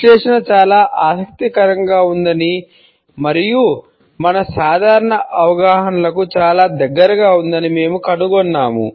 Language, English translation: Telugu, We find that the analysis is pretty interesting and also very close to our common perceptions